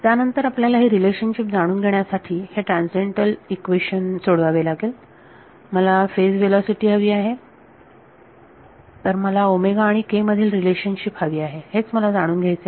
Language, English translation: Marathi, Then you have to solve this transcendental equation to find out what the relation between I want the phase velocity; so, I want the relation between omega and k that is what I want to get out